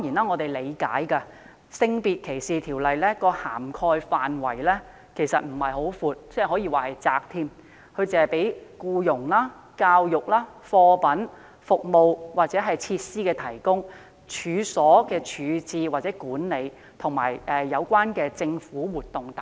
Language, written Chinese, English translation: Cantonese, 我們理解《性別歧視條例》的涵蓋範圍並不寬闊，更可說是狹窄，只是規管僱傭、教育、貨品、服務或設施的提供，處所的處置或管理，以及有關的政府活動等。, We understand that the scope of SDO is not broad but rather narrow only regulating employment education provision of goods services or facilities disposal or management of premises and related government activities etc